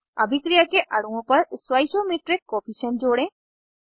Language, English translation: Hindi, Add stoichiometric coefficients to reaction molecules